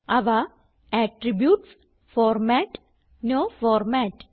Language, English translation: Malayalam, They are Attributes,Format and No Format